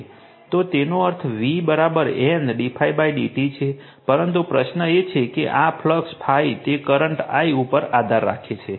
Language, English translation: Gujarati, So that means, v is equal to N into d phi by d t right but, question is that this phi the flux phi it depends on the current I